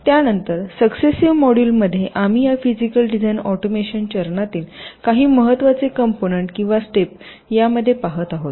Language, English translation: Marathi, then in the successive modules we shall be looking at some of the very important components or steps in this physical design automations step